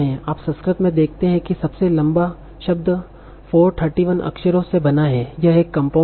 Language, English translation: Hindi, So see in Sanskrit the longest word is composed of 431 characters